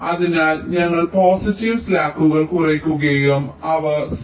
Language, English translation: Malayalam, so we try to decrease the positive slacks and try to make them zero